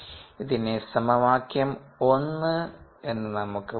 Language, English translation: Malayalam, we call this the equation six